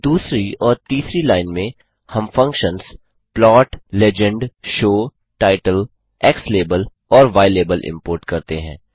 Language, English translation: Hindi, The second and third line we import the functions plot() , legend() , show() , title() , xlabel() and ylabel()